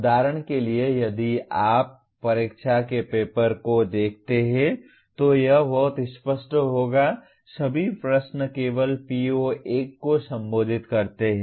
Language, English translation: Hindi, For example if you look at the examination paper it would be very clear the, all the questions only address PO1